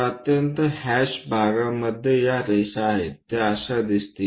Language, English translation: Marathi, the highly hash portion these are the lines what one will be going to see